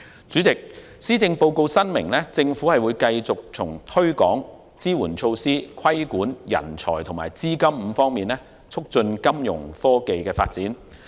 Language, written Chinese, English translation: Cantonese, 主席，施政報告申明，政府會繼續從推廣、支援措施、規管、人才及資金5方面促進金融科技的發展。, President the Chief Executive stated in the Policy Address that the Government has adopted a five - pronged approach in facilitating development of financial technology Fintech namely promotion facilitation regulation talents and funding